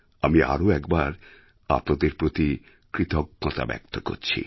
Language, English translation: Bengali, I again want to express my gratitude to you all